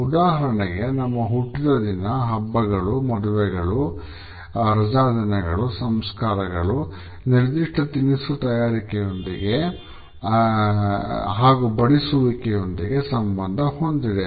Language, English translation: Kannada, For example, our birthdays, our festivals, weddings, holidays, funerals are associated with a particular type of the preparation of food and how it is served